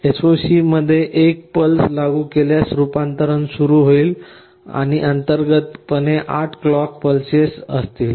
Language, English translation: Marathi, If you apply a pulse in SOC the conversion will start and internally there will be 8 clock pulses